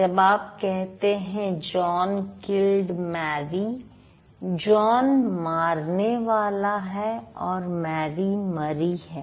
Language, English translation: Hindi, But when you say Mary killed John, John is dead and Mary is the killer